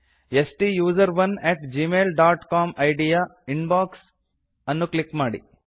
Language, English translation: Kannada, Under STUSERONE at gmail dot com ID, click Inbox